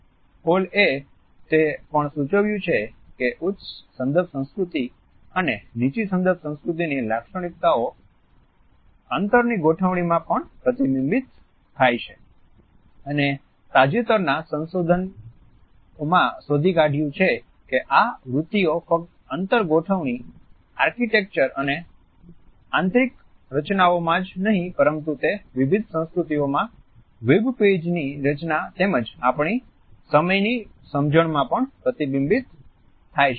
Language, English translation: Gujarati, Hall has also suggested that these characteristics of high and low context cultures are also reflected it is space arrangements and nowadays very recent researchers have found that these tendencies are reflected not only in space arrangements, architecture and interior designing; they are also reflected in the designing of the web pages in different cultures as well as in our understanding of time